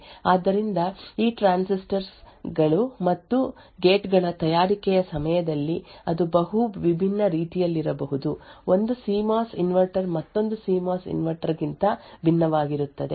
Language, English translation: Kannada, So, during the fabrication of these transistors and gates, that could be multiple different ways, one CMOS inverter differs from another CMOS inverter